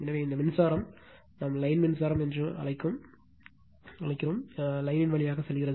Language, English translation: Tamil, So, this is this current is going through the line we call line current